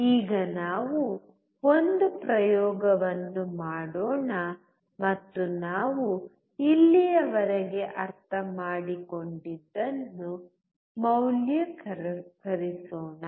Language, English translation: Kannada, Now let us perform an experiment and validate what we have understood so far